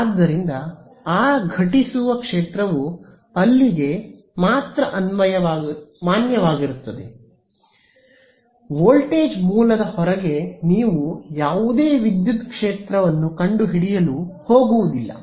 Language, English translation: Kannada, So, that incident field is valid only over there right, outside the voltage source you are not going to find any electric field, but this has now produced a current over here right